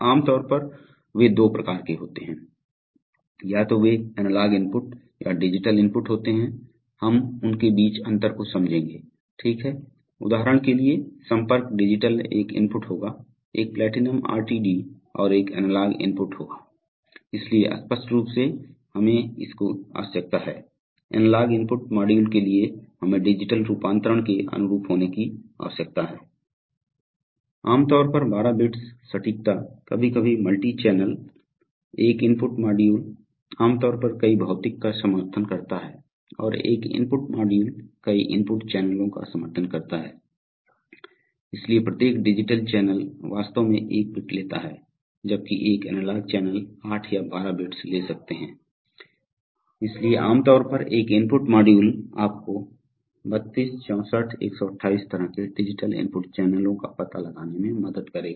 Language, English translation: Hindi, They are generally of two types, they are either analog inputs or digital inputs, we understand the difference between them, right, so for example a contact would be digital input and a platinum RTD would be an analog input, so obviously we need, for the analog input modules we need to have analog to digital conversion typically 12 bits accuracy multi channel sometimes, one input module will generally supports several physical, and one input module supports several input channels, so there since each digital channel actually takes one bit, while one each analog channel could take as much as eight or twelve bits, so therefore typically an input module will support you know 32 64 128 kind of digital input channels